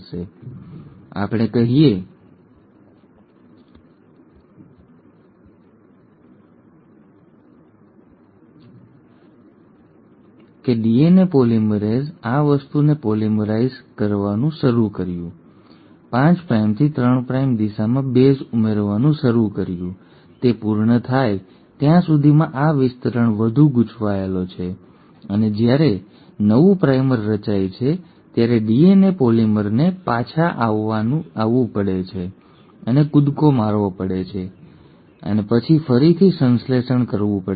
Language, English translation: Gujarati, So let us say, the DNA polymerase started polymerising this thing, started adding the bases in the 5 prime to 3 prime direction, by the time it finished it, this region further uncoiled and when a new primer was formed, so the DNA polymer has to come back and jump and then synthesise again